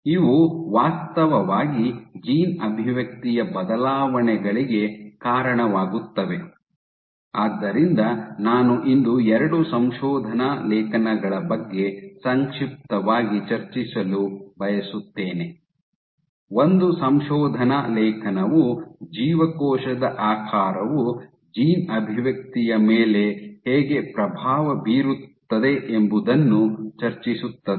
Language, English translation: Kannada, So, these actually lead to alterations in gene expression, so I would like to discuss two papers today briefly, one paper discussed how does cell shape influence gene expression